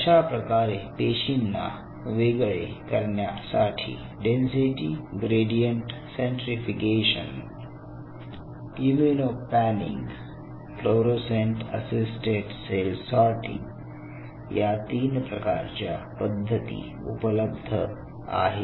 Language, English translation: Marathi, So, you have density gradient centrifugation, you have immuno panning you have fluorescent assisted cell sorter